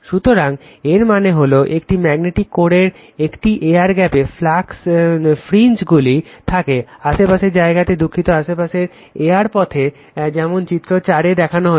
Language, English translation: Bengali, So that means, at an air gap in a magnetic core right, the flux fringes is out into neighbouring area your sorry neighbouring air paths as shown in figure 4